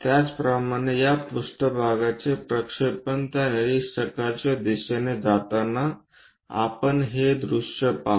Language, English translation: Marathi, Similarly, projection of this plane onto that observer direction we will see this view